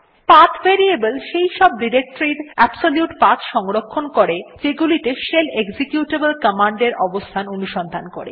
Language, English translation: Bengali, The PATH variable contains the absolute paths of the directories that the shell is supposed to search for locating any executable command